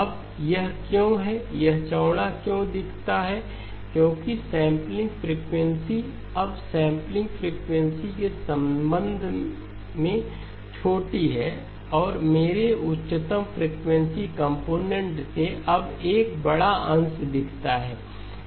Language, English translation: Hindi, Now why is it, why does it look wider because the sampling frequency is now smaller with respect to the sampling frequency my highest frequency component now looks a larger fraction and therefore it looks